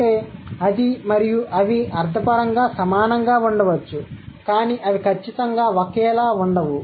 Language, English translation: Telugu, So that means and the, they might semantically similar but they are definitely not identical